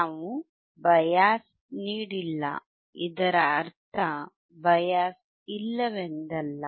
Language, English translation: Kannada, We have not given a bias; that does not mean that bias is not there